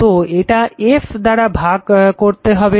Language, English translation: Bengali, So, this is your your divided by f right